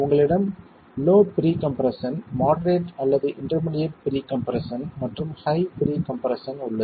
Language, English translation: Tamil, You had low pre compression, moderate or intermediate levels of pre compression and high pre compression